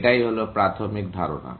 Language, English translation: Bengali, That is going to be the basic idea